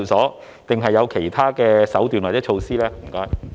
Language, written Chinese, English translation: Cantonese, 還是當局有其他手段或措施呢？, Or do the authorities have other means or measures?